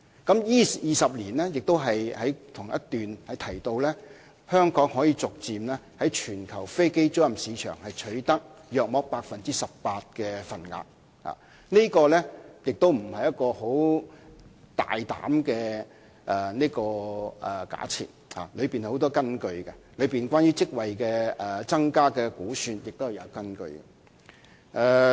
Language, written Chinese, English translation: Cantonese, 同一段亦提及，在這20年間，香港可以逐漸在全球飛機租賃市場取得約 18% 的份額，這並非大膽的假設，而是有所依據，至於有關職位增加的估算，亦是有根據的。, It is also mentioned in the same paragraph that Hong Kong could gradually capture up to about 18 % of aircraft leasing business in the global aircraft leasing market in 20 years time . We are not bringing up hypothesis ambitiously but there are some bases on which these figures are arrived including the projection of an increase in job opportunities